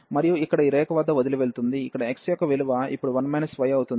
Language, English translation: Telugu, And leaves here at this line, where the value of x will be now 1 1 minus y